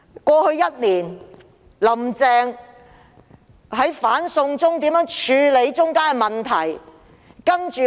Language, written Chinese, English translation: Cantonese, 過去一年，"林鄭"在"反送中"事件中如何處理問題呢？, How did Carrie LAM tackle the anti - extradition to China incident last year?